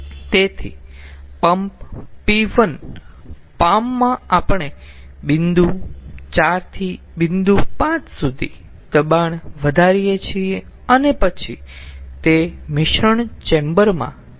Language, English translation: Gujarati, so, ah, then in the palm, in the pump p one we raise the pressure from point four to point five and then it goes to the mixing chamber